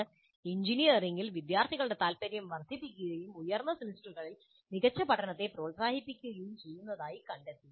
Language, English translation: Malayalam, They find that this enhances student interest in engineering and motivates better learning in higher semesters